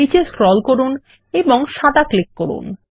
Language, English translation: Bengali, Scroll down and click on white